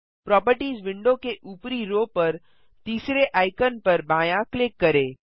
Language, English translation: Hindi, Left click the third icon at the top row of the Properties window